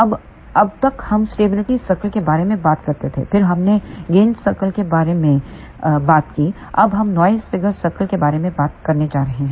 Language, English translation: Hindi, Now, till now we talked about stability circle, then we talked about gain cycle, now we are going to talk about noise figure cycle